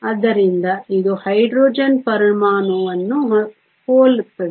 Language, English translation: Kannada, So, This is similar to a Hydrogen atom